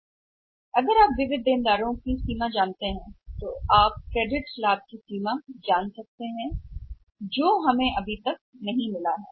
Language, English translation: Hindi, And if you know the extent of sundry debtors you will be knowing the extent of credit profits which we have not received yet